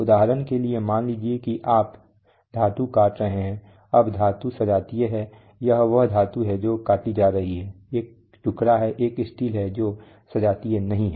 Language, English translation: Hindi, For example, suppose you are cutting metal, now the metal is in homogeneous this is the metal which are cutting there is a piece of, there is a steel not homogeneous